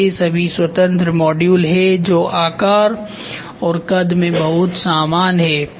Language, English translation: Hindi, So, these are all independent modules which are very similar in shape and size